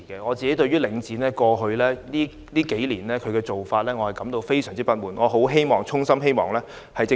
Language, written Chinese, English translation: Cantonese, 我對於領展過去數年的做法感到非常不滿，並衷心希望政府下定決心做些事。, I am extremely discontented with the practices of Link REIT in the past few years and I sincerely hope that the Government will drum up the resolve to do something about it